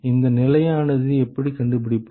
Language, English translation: Tamil, How do we find this constant